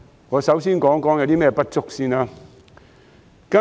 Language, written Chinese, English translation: Cantonese, 我先談有何不足之處。, Let me start with the deficiencies